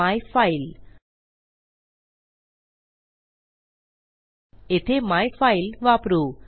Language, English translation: Marathi, So well use myfile here